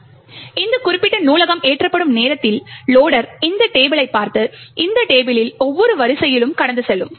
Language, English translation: Tamil, Thus, at a time when this particular library gets loaded, the loader would look into this table and passed through each row in this table